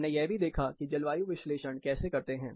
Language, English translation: Hindi, We took a look at how climate analysis is done